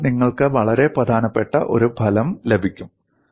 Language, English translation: Malayalam, So, you get a very important result